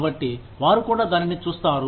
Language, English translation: Telugu, So, they are looking in to that, also